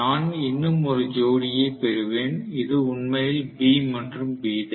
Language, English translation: Tamil, I am going to have one more pair which is actually B and B dash